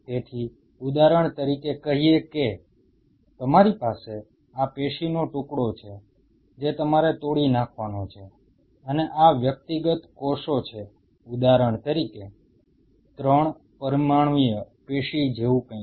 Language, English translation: Gujarati, So, say for example, you have this piece of tissue what you have to dissociate and these are the individual cells say for example, something like a 3 dimensional tissue